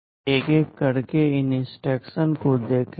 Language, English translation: Hindi, Let us look at these instructions one by one